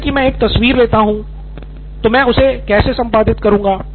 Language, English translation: Hindi, Like I take a picture, how may I edit that